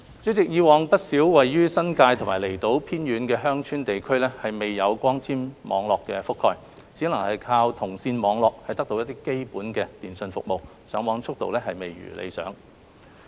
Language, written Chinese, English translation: Cantonese, 主席，以往，不少位於新界和離島偏遠的鄉村地區未有光纖網絡覆蓋，只能靠銅線網絡得到基本的電訊服務，上網速度未如理想。, President in the past many remote villages in the New Territories and outlying islands were not covered by fibre - based networks and could only rely on copper - based networks for basic telecommunications services with unsatisfactory Internet access speed